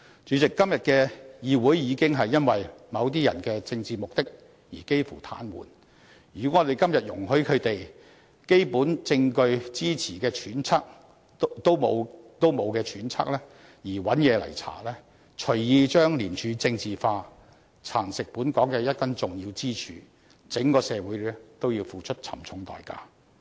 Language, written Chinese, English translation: Cantonese, 主席，今天的議會已經因為某些人的政治目的而幾乎癱瘓，如果我們今天容許他們基於缺乏基本證據支持的揣測而漫無目的進行徹查，隨意把廉署政治化，蠶食本港的一根重要支柱，則整個社會都要付出沉重的代價。, President this Council is now in a virtual state of paralysis nowadays due to the political motives of some people . If we allow them to conduct an aimless inquiry based on speculations not backed by any basic evidence if we allow them to politicize and erode this very important pillar of Hong Kong called ICAC at will society as whole will have to pay a high price